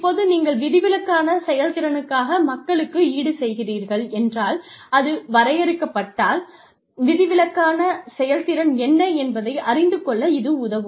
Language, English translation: Tamil, Now, if you are compensating people for exceptional performance it would help, if you defined, what exceptional performance was